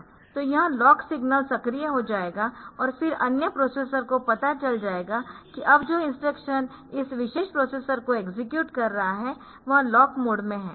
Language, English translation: Hindi, So, that this lock signal will be activated and then other processor they will know that now the instructions that are the, this particular processor is executing it is in lock mode